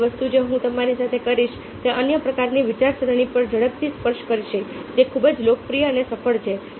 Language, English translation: Gujarati, the last thing i will be doing with you is quickly touch upon another kind of thinking which is pretty popular and successful